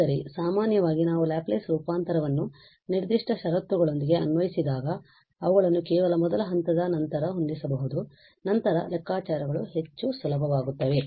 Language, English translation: Kannada, But in general, when we apply the Laplace transform with a conditions are given we can fit them in after just first step and then calculations will be much easier